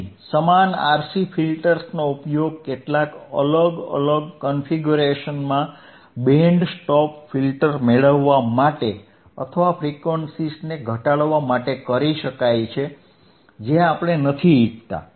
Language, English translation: Gujarati, So, same RC filters can be used in some different configurations to get us a band stop filter or attenuate the frequency that we do not desire all right